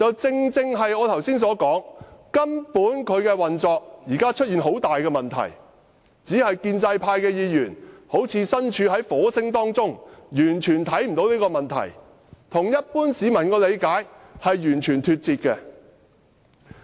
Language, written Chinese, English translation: Cantonese, 正如我剛才所說，現時廉署的運作出現很大問題，只是建制派議員好像身處火星一樣，完全看不到這個問題，跟一般市民的理解完全脫節。, As I have just said there are serious problems with the operation of ICAC . However it seems that pro - establishment Members are living in Mars and they have completely failed to notice the problem and they are totally out of touch with the general public